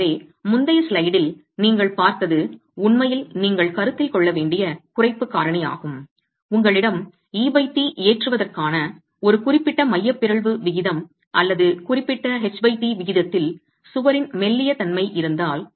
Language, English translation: Tamil, So what you saw in the previous slide was really the reduction factor that you must consider if you have a certain eccentricity ratio of loading E by T or a certain H by T ratio, the slenderness of the wall itself